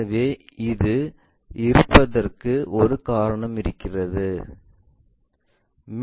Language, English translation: Tamil, So, there is a reason we have this one